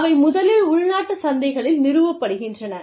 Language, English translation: Tamil, They first, gets established, in the domestic markets